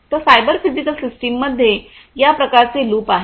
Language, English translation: Marathi, Cyber physical systems are embedded systems